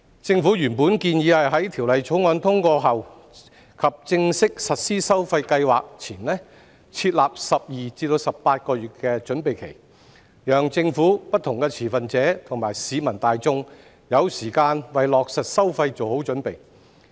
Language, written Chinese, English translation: Cantonese, 政府原本建議在《條例草案》通過後及正式實施收費計劃前，設立12至18個月的準備期，讓政府、不同持份者和市民大眾有時間為落實收費做好準備。, The Government originally proposed to put in place a preparatory period of 12 to 18 months after the passage of the Bill and before the official implementation of the charging scheme in order to provide time for the Government various stakeholders and members of the public to prepare for the implementation of the charges